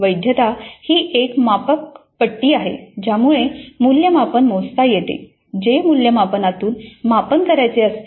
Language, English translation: Marathi, Validity is the degree to which the assessment measures what it purports to measure